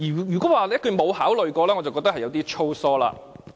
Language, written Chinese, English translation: Cantonese, 如果說沒有考慮過，我覺得是有點粗疏。, I consider it a bit sloppy if they have not given this a thought